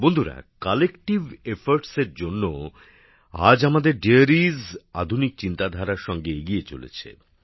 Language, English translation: Bengali, Friends, with collective efforts today, our dairies are also moving forward with modern thinking